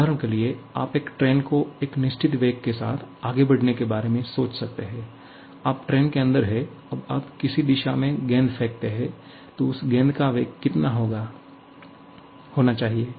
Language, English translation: Hindi, For example, you can always think of a train moving with a certain velocity and you are inside the train, now inside the train, you throw a ball in some direction